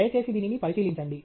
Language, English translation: Telugu, Please take a look at this